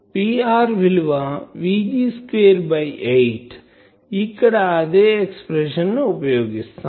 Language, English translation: Telugu, It is V g square by 8, here is the same expression